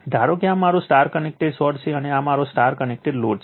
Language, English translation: Gujarati, Suppose, this is my star connected source and this is my star connected load right